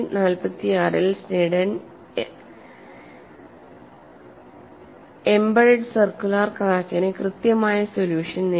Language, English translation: Malayalam, To summarize here, Sneddon in 1946 obtained the exact solution for an embedded circular crack